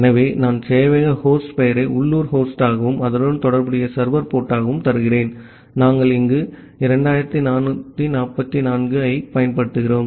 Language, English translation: Tamil, So, I am giving the server host name as local host and the corresponding server port that, we have used here 2444